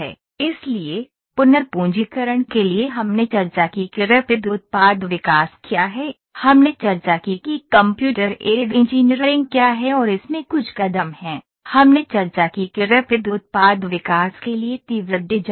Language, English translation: Hindi, So, to re recapitulate we discussed what is Rapid Product Development, we discussed what is Computer Aided Engineering and certain steps in it, we discussed what is rapid design for Rapid Product Development